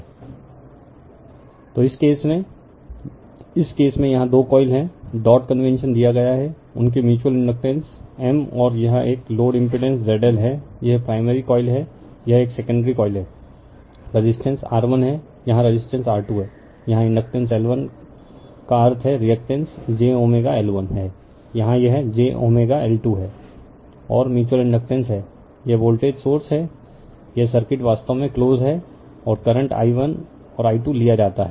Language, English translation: Hindi, So, in this case your in this case two coils are there dot conventions given their mutual inductance is M and this is one load impedance is that Z L this is the primary coil this is a secondary coil here, resistance is R 1 here resistance is R 2 here inductance L 1 means reactance is j omega L 1 here it is j omega L 2 and mutual inductance is then this is the voltage source this circuit is close actually right and current is taken i 1 and i 2